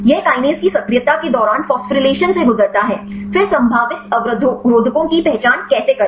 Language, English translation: Hindi, This undergo phosphorylation during the activation of kinase, then how to identify the probable inhibitors